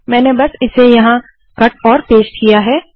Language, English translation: Hindi, All I have done is to cut and to paste it here